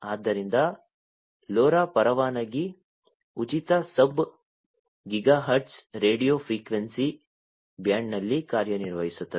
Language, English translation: Kannada, So, LoRa operates in the license free sub gigahertz radio frequency band